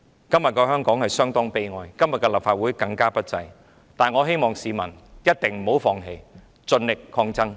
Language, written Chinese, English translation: Cantonese, 今天的香港相當悲哀，今天的立法會更不濟，但我希望市民一定不要放棄，盡力抗爭。, The Hong Kong today is pathetic . The Legislative Council today is even worse . But I hope that the public will not give up and will try their best to stand and fight